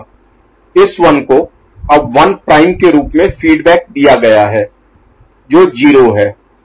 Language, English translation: Hindi, This 1 now fed back as 1 prime which is 0